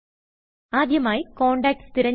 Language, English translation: Malayalam, First, select the Contact